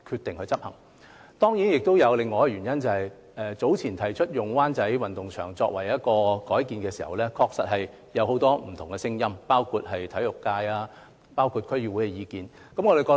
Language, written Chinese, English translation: Cantonese, 當然，還有另一個原因，便是早前提出將灣仔運動場改建時，確實出現很多不同聲音，包括體育界和區議會的意見。, Of course there is another reason that is when the proposal for redevelopment of the Wan Chai Sports Ground was made earlier there were indeed different views including those from the sports sector and the District Council